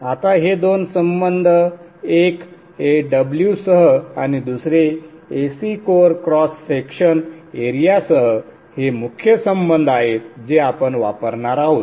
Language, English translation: Marathi, Now these two relationships, one with AW and the AC core cross section area are the core relationships that we will use